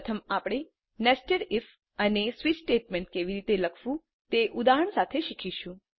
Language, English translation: Gujarati, First we will learn, how to write nested if and switch statement with an example